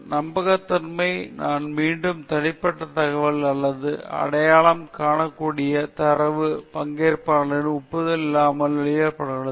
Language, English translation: Tamil, Confidentiality, I repeat, personal information or identifiable data should not be disclosed without participantÕs consent